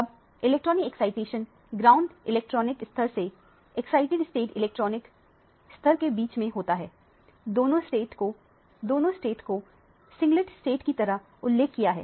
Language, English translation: Hindi, Now, the electronic excitation takes place from the ground electronic level to the excited state electronic level both the states are mentioned a singlet state